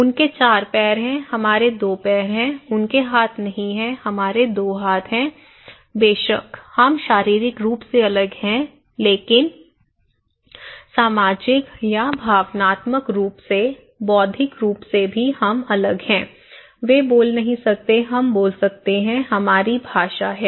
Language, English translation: Hindi, They have 4 legs, we have 2 legs, they donít have hands, we have 2 hands, of course, we are physically different but also socially or emotionally, intellectually we are also different, they cannot speak, we can speak, we have language